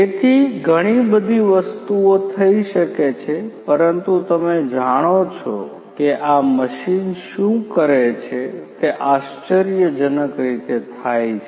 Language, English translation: Gujarati, So, lot of different things could be done, but you know at this point what this machine does is intelligently